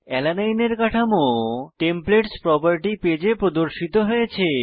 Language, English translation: Bengali, Structure of Alanine is loaded onto the Templates property page